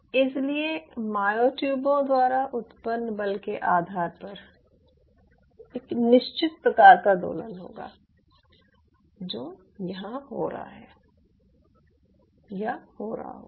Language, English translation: Hindi, ok, so, depending on the force generated by the myotubes, there will be a certain kind of an oscillation which will be happening out here now while this oscillation is taking place